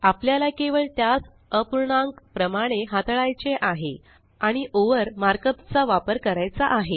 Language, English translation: Marathi, We just have to treat them like a fraction, and use the mark up over